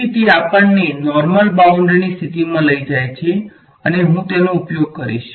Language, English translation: Gujarati, So, that takes us to normal boundary conditions and I will use